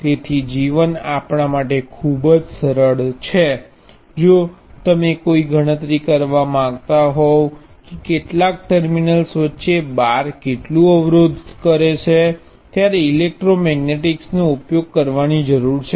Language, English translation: Gujarati, So, life is a lot simpler for us if you do want to calculate how much resistance a bar contributes between some terminals, you do need to use electromagnetic